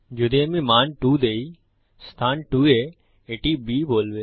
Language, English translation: Bengali, If I give the value two it would say B in position 2